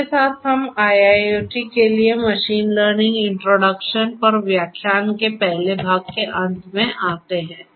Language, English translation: Hindi, With this we come to an end of the first part of lecture on machine learning introduction for IIoT